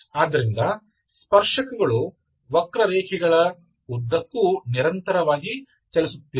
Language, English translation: Kannada, So the tangents are moving continuously along the curve